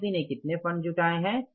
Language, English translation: Hindi, How much funds have been raised by the company